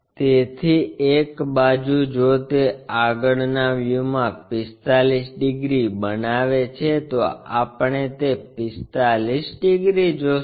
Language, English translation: Gujarati, So, one of the sides if it is making 45 degrees in the front view we will see that 45 degrees